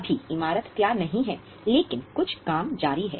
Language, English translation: Hindi, Right now the building is not ready but some work is on